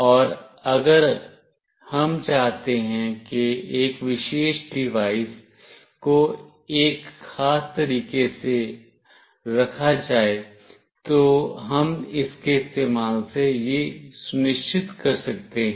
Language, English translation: Hindi, And if we want a particular device to be placed in a particular way, we can ensure that using this